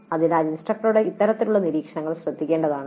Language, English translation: Malayalam, So these kind of observations by the instructor should be noted down